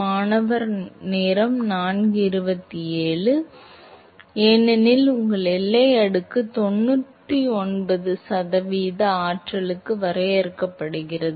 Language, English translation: Tamil, No, but that is, because your boundary layer defined as 99 percent of the energy